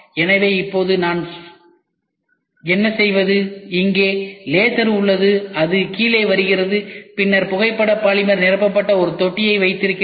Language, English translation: Tamil, So, now, what do I do is, I have here laser which comes down and then I have a tank in which photo polymer is filled